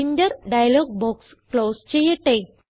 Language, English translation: Malayalam, Lets close the Printer dialog box